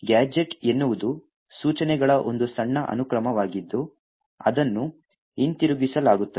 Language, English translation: Kannada, Now a gadget is a short sequence of instructions which is followed by a return